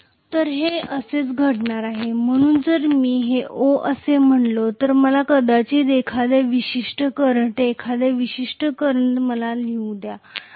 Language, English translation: Marathi, So this is what is going to be the case, so if I say this is O let me probably write you know at a particular current, at a particular current i